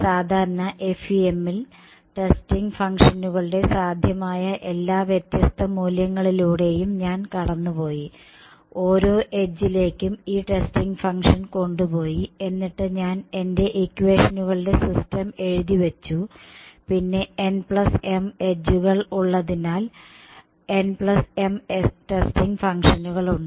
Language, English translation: Malayalam, In the traditional FEM, I basically cycled through all different possible values of these testing functions, I took the testing function to be each one of these edges and I wrote down my system of equations and since there are n plus m edges there are n plus m testing functions